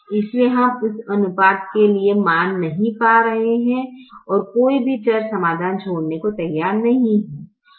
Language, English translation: Hindi, therefore, we are not able to get a value for this ratio and no variable is willing to leave the solution